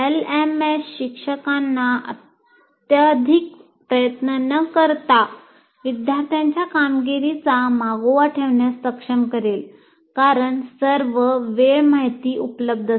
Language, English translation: Marathi, And LMS will also enable the teachers to keep track of students' performance without excessive effort